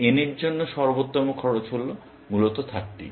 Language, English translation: Bengali, So, the best cost for n is 30, essentially